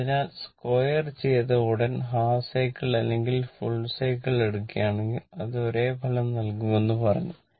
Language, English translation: Malayalam, So, I told you that as soon as squaring it, if you take half cycle or full cycle, it will give you the same result right